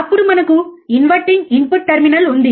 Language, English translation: Telugu, Then we have the inverting input terminal